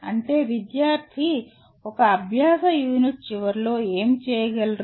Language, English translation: Telugu, That means what should the student be able to do at the end of a learning unit